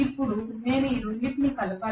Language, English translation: Telugu, Now I have to add these two together